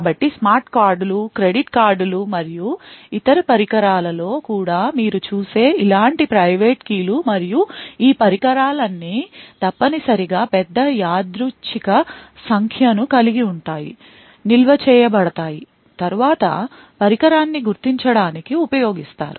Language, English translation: Telugu, So, a similar type of private keys that you would see also, in various other devices like smart cards, credit cards and so on and all of these devices essentially have a large random number which is stored, which is then used to identify the device